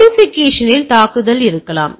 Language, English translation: Tamil, There can be a attack on modification